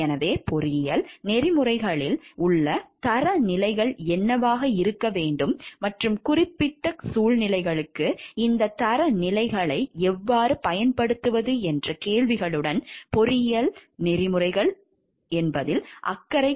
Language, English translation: Tamil, So, engineering ethics is concerned with the question of what the standards in engineering ethics should be, and how to apply these standards to particular situations